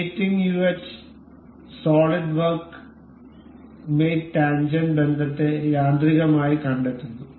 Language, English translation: Malayalam, And it the mating uh solid works mating automatically detects the tangent relation